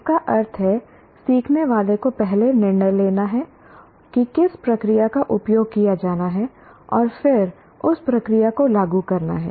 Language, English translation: Hindi, That means the student, the learner has to make first decision which particular process to be used and then apply that process